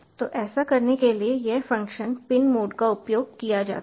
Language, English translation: Hindi, so to do this, this function pin mode is used